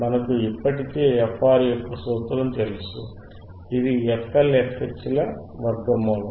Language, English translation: Telugu, We already know the formula for frR, frwhich is square root of fH into f L